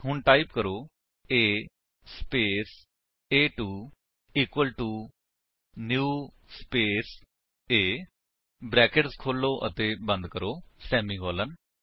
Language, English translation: Punjabi, So, type: A space a2 equal to new space A opening and closing brackets semicolon